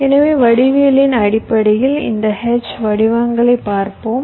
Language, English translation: Tamil, so let us look at this h shapes in terms of the geometry